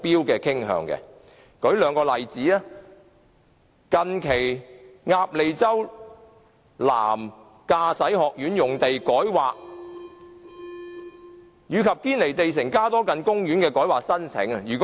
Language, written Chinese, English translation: Cantonese, 讓我舉出兩個例子，近期鴨脷洲南香港駕駛學院用地改劃及堅尼地城加多近街公園的改劃申請。, Let me cite two examples namely the recent rezoning of Ap Lei Chau Driving School and the application for rezoning of Cadogan Street Park in Kennedy Town